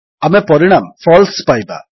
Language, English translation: Odia, The result we get is FALSE